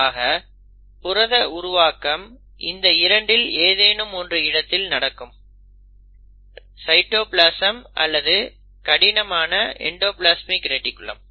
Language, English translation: Tamil, So you can have protein synthesis in either of these 2 areas, either in the cytoplasm or in the rough endoplasmic reticulum